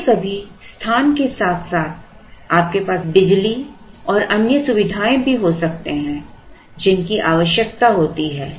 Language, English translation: Hindi, Sometimes along with space you could also have power and other accessories which are required